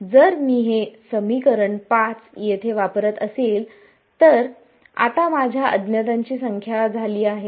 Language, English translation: Marathi, If I am going to use this equation 5 over here my number of unknowns has now become